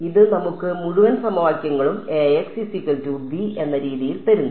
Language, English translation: Malayalam, So, the system of equations comes from